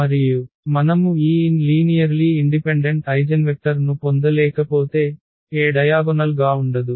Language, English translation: Telugu, And if we cannot get these n linearly independent eigenvectors then the A is not diagonalizable